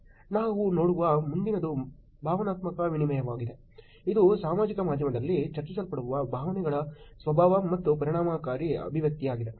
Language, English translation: Kannada, The next one we look at is emotional exchange, which is nature of emotions and affective expression that are being discussed on social media